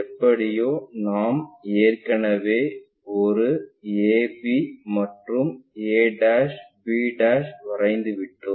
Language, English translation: Tamil, Somehow, we have already constructed a' b' and AB